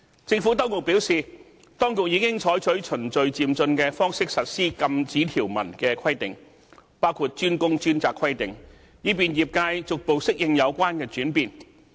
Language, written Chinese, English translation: Cantonese, 政府當局表示，當局已經採取循序漸進的方式實施禁止條文的規定，包括"專工專責"規定，以便業界逐步適應有關轉變。, The Administration has advised that it has adopted a phase - by - phase approach to implementing the prohibitions including the DWDS requirement to facilitate gradual adaptation to the changes by the industry